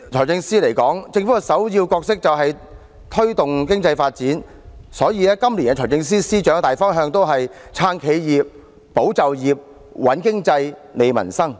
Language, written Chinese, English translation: Cantonese, 政府的首要角色是推動經濟發展，所以今年財政司司長採取的大方向也是"撐企業、保就業、穩經濟、利民生"。, The Governments first and foremost role is to promote economic development and hence the general direction taken by the Financial Secretary this year is also supporting enterprises safeguarding jobs stabilizing the economy strengthening livelihoods